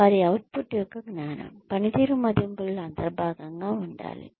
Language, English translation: Telugu, Knowledge of their output, should be an integral part of performance appraisals